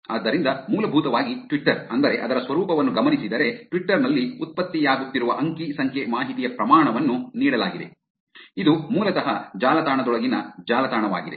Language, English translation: Kannada, So, essentially Twitter, I mean given its nature, given amount of data that is getting generated on Twitter, it is basically a web within the web